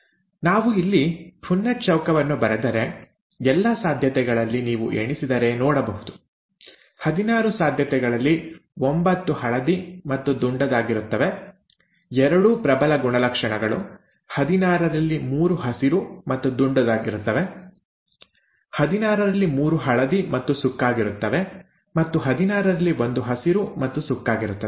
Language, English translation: Kannada, If we draw a Punnett Square here of all the possibilities, you can see if you count, that nine out of the sixteen possibilities would be yellow and round, both dominant characters; three out of sixteen would be round and green; three out of sixteen would be yellow and wrinkled and one out of sixteen would be green and wrinkled